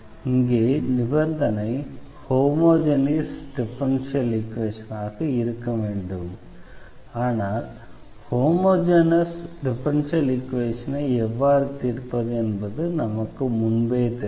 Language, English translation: Tamil, But, here the condition is this should be homogeneous differential equation and we already know how to solve the homogeneous differential equation